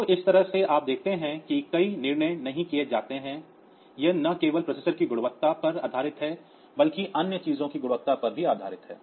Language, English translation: Hindi, So, that way you see that many decisions are not done it is only based on the quality of the processor, but the quality of other things as well